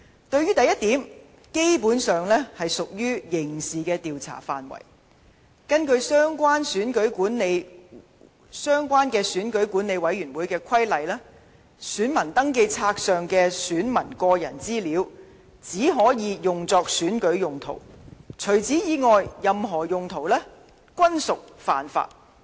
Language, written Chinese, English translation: Cantonese, 對於第一點，基本上屬於刑事調查範圍，根據相關選舉管理委員會規例，選民登記冊上的選民個人資料只可用作選舉用途，除此以外的一切任何用途均屬犯法。, As for the first point it is within the scope of criminal investigation . In accordance with the relevant Electoral Affairs Commission Regulations the personal data listed in the electoral registers can only be used for electoral purposes and the use of such data for any other purpose is an offence